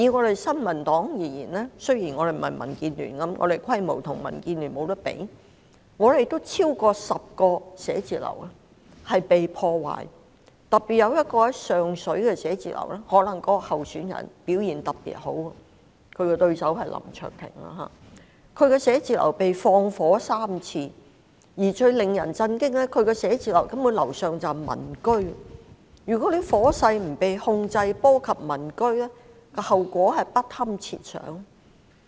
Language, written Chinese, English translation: Cantonese, 就新民黨而言，雖然我們的規模無法與民主建港協進聯盟相比較，但我們還是有超過10個辦公室被破壞，尤其位於上水的辦公室，或許是因為該區那位候選人表現特別好——他的對手是林卓廷——他的寫字樓曾三度被縱火，而最令人心寒的是，他的辦公室上層就是民居，一旦火勢不受控而波及民居的話，後果實在不堪設想。, As far as the New Peoples Party is concerned although our party can in no way compare with the Democratic Alliance for the Betterment and Progress of Hong Kong in terms of membership more than 10 of our district offices were vandalized especially the one in Sheung Shui . This may be due to the fact that our candidate running in that constituency has performed exceptionally well―his election opponent is Mr LAM Cheuk - ting―and his office has thus been set on fire thrice . The most frightening fact is that as units on the upper floors of his office are used for residential purpose the consequences would be unthinkable if the fire got out of control and spread to these residential units